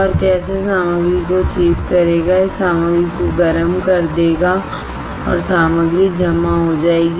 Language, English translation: Hindi, And this is how it will sweep the material it will heat the material and materials gets deposited